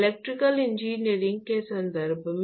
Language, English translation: Hindi, In terms of electrical engineering terms